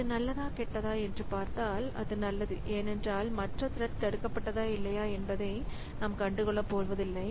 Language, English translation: Tamil, So, it is good because I don't, I don't be bothered about whether some other thread got blocked or not